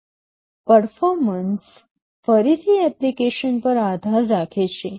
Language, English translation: Gujarati, Performance again depends on the application